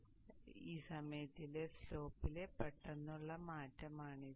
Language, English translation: Malayalam, So this is a sudden change in the slope during this point